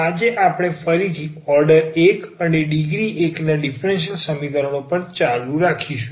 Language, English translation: Gujarati, And today we will continue our discussion again on differential equations of order 1 and degree 1